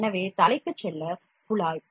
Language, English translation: Tamil, So, tube to go to the head